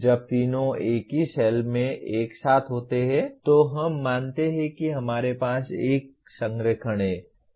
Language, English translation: Hindi, When all the three are together in the same cell, we consider we have a perfect alignment